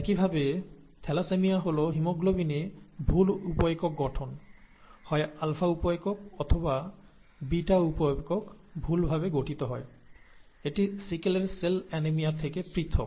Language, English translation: Bengali, Similarly, thalassaemia is incorrect sub unit formation in haemoglobin; either the alpha sub unit or the beta sub unit are incorrectly formed, it is different from sickle cell anemia